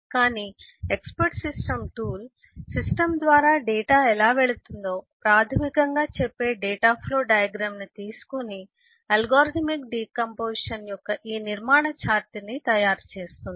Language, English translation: Telugu, but an expert system tool can take the data flow diagram, which basically says how data is going through the system, and make this structure chart of algorithmic decomposition